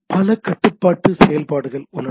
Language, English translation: Tamil, There are several control function